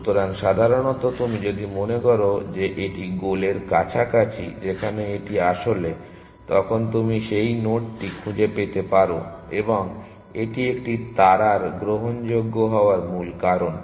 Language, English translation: Bengali, So, in generally if you think it is closer to the goal where it actually is then you are liked to explore that node and that is a key factor for A star being admissible